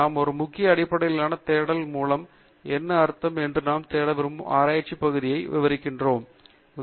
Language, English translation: Tamil, What we mean by a Keyword based search is that we choose a set of words which describe the research area that we want to search for